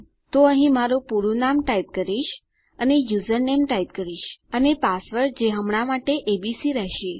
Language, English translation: Gujarati, So here I will just type my full name and I can type my username and choose a password which will be abc for now